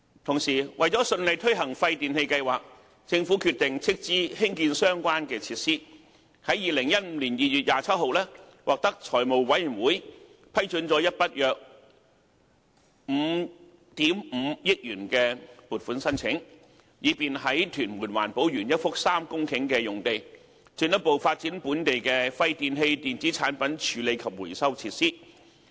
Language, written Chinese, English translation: Cantonese, 同時，為了順利推行廢電器計劃，政府決定斥資興建相關設施，於2015年2月27日獲財務委員會批准了一筆約5億 5,000 萬元的撥款申請，以便在屯門環保園一幅3公頃的用地，進一步發展本地的廢電器電子產品處理及回收設施。, Meanwhile for the smooth implementation of WPRS the Government decided to finance the construction of relevant facilities . On 27 February 2015 a 550 million funding application was approved by the Finance Committee for the further development of a local WEEETRF on a 3 - hectare site at the EcoPark in Tuen Mun